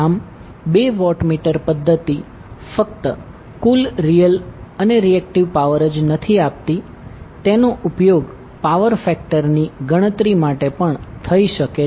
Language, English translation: Gujarati, So what you can say that the two watt meter method is not only providing the total real power, but also the reactive power and the power factor